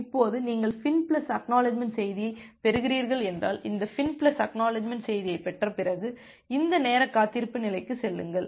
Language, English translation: Tamil, Now, if you are receiving the FIN plus ACK message, after receiving this FIN plus ACK message you go to this time wait state